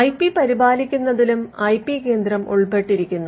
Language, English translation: Malayalam, The IP centre was also involved in maintaining the IP